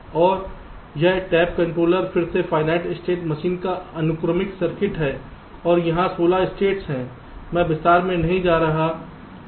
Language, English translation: Hindi, and this tap controller is again ah sequential circuit of final state machine and there are sixteen states actually i am not going to detail